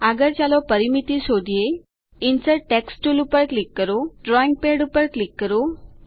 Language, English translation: Gujarati, Next, lets find Perimeter Click on the Insert text tool Click on the drawing pad.A text box opens